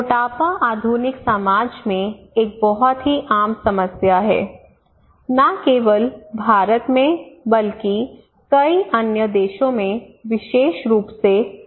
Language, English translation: Hindi, So obesity is a very common problem in modern society, okay not only in India but in many other countries especially in US